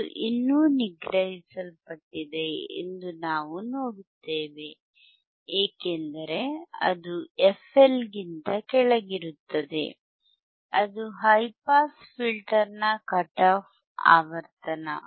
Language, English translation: Kannada, wWe see that still it is still suppressed because it is below f L, the frequency cut off frequency of the high pass filter